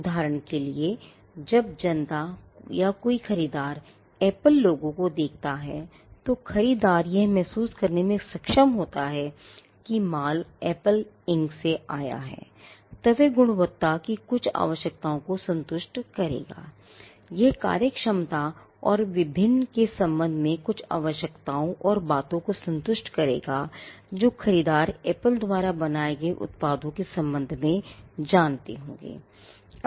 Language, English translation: Hindi, For instance, when the public or a buyer looks at the Apple logo, the buyer is able to perceive that the goods have come from Apple Inc then, it will satisfy certain requirements of quality, it will satisfy certain requirements with regard to functionality and various other things the buyer would have known with regard to products created by Apple